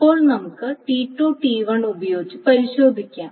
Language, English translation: Malayalam, Now let us test it with T2T1